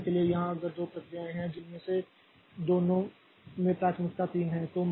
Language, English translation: Hindi, For example here if there are two processes that have both of them are having priority three